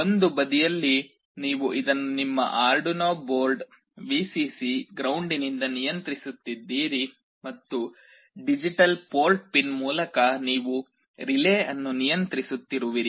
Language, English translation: Kannada, On one side you are controlling this from your Arduino board, Vcc, ground, and through a digital port pin you are controlling the relay